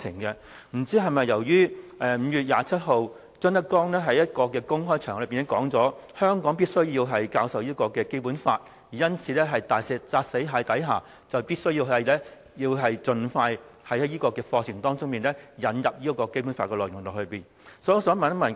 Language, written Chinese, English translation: Cantonese, 不知是否由於5月27日，張德江在一個公開場合裏表示香港必須教授《基本法》，因此，在"大石砸死蟹"的情況下，當局必須盡快在課程當中引入《基本法》的內容。, I wonder whether there is anything to do with ZHANG Dejiangs open remarks on 27 May that the Basic Law must be taught in Hong Kong . Maybe the authorities are under unbearable pressure so they must incorporate contents about the Basic Law in the curriculum as soon as possible